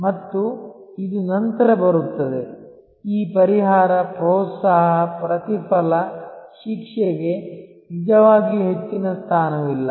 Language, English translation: Kannada, And this comes later, this compensation, incentives, rewards, punishment really does not have much of a position